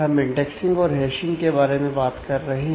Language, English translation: Hindi, We have been discussing about indexing and hashing